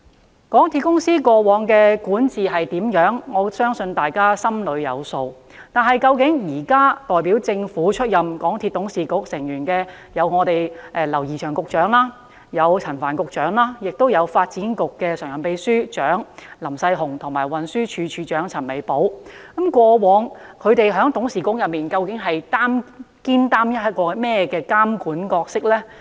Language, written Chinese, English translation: Cantonese, 對於港鐵公司過往的管治表現，我相信大家心中有數，但究竟現時代表政府出任港鐵董事局成員的劉怡翔局長、陳帆局長和發展局常任秘書長林世雄及運輸署署長陳美寶，過去在董事局內肩負起怎樣的監管角色呢？, Regarding the performance of MTRCL on its governance I believe we should our own judgment . How did the incumbent government representatives in the MTRCL Board namely Secretary James Henry LAU Secretary Frank CHAN Permanent Secretary for Development Works LAM Sai - hung and Commissioner for Transport Mable CHAN monitor the railway corporation in the past?